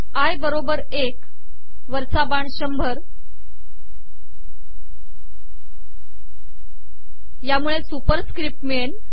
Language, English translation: Marathi, I equals 1, up arrow 100,which is the superscript